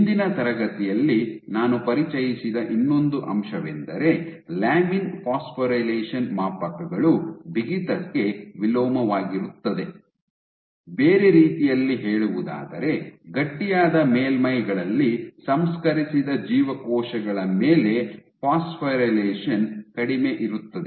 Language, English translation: Kannada, The other aspect which I introduced in last class was that lamin phosphorylation scales inversely with stiffness, in other words on cells cultured on stiff surfaces phosphorylation is less